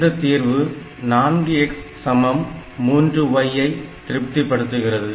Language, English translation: Tamil, So, we have got 4 x equal to 3 y